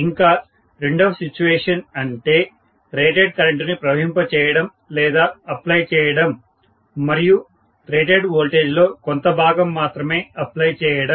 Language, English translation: Telugu, And second situation applying or passing rated current, whereas applying only a fraction of the rated voltage